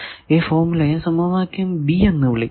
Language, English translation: Malayalam, So, you get this formula it is we are calling equation b